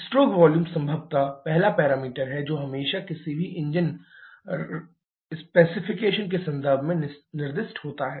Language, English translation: Hindi, The stroke volume is probably the first parameter that is always specified in terms of any engine specification